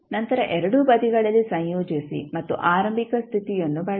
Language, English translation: Kannada, You have to integrate at both sides and use the initial condition